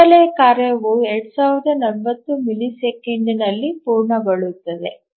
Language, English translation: Kannada, So the background task will complete in 2040 milliseconds